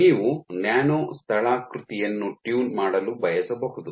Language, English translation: Kannada, You may want to tune nano topography